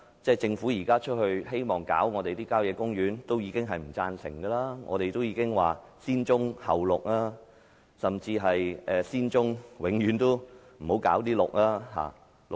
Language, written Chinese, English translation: Cantonese, 政府現時希望碰郊野公園土地，多位議員和公眾均不贊成，我們說要"先棕後綠"，甚至是先處理棕地，永遠都不要搞綠化地帶。, Now the Government wishes to touch the country park land . Many Members and the public do not approve of it . We have stated that it should deal with brownfield sites before green belt areas or it should even first deal with the former and never touch the latter